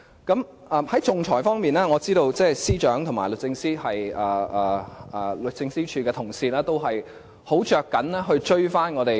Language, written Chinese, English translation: Cantonese, 在仲裁方面，我知道司長和律政司的同事均十分着緊追上其他地方。, In the area of arbitration I know the Secretary and his colleagues in the Department of Justice are all serious about catching up with other territories